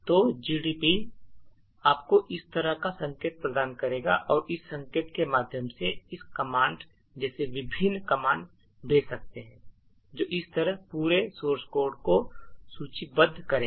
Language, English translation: Hindi, So gdb would provide you a prompt like this and through this prompt you could actually send various commands such as the list command which would list the entire source code like this